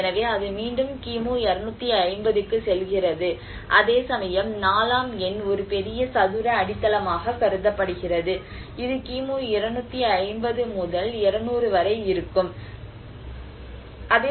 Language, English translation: Tamil, So, that is again goes back to 250 BC\'eds whereas number 4 which is supposed a huge square base which is between 250 to 200 BC\'eds